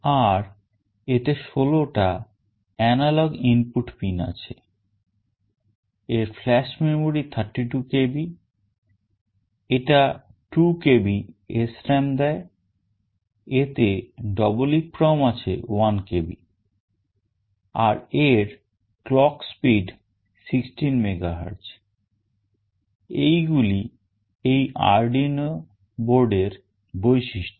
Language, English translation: Bengali, And there are 16 analog input pin, it has a flash memory of 32 KB, it provides SRAM of 2 KB, it has got an EEPROM of 1 KB, and the clock speed is 16 MHz